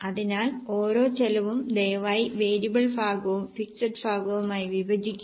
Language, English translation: Malayalam, So, each cost, please divide into variable portion, fixed portion